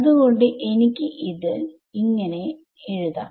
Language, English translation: Malayalam, So, that is how I will write this